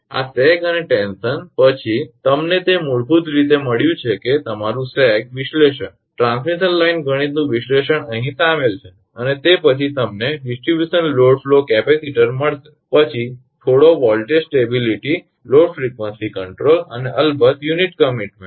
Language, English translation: Gujarati, After this sag and tension, you will find it is basically your analysis sag and analysis of transmission line mathematics are involved here and after that you will find the distribution load flow capacitor then little bit voltage stability load frequency control and of course, unit commitment